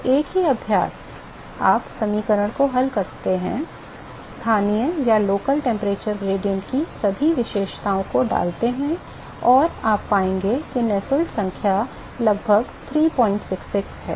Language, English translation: Hindi, So, same exercise: you solve the equation, put all the characteristics of the local temperature gradient and you will find that the Nusselt number is about 3